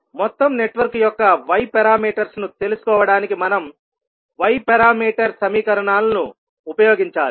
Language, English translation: Telugu, We have to use the Y parameters equations to find out the Y parameters of overall network